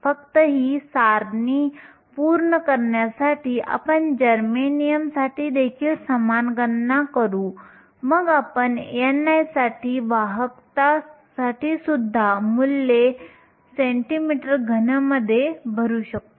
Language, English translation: Marathi, Just to complete this table, we will also do a similar calculation for germanium then we can come back and fill in the values for n i in terms of centimeter cube and also conductivity